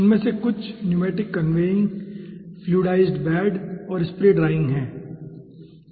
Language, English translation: Hindi, some of them are pneumatic conveying, fluidized bed and spray drying okay